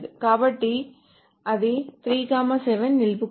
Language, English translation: Telugu, So it must retain 3 7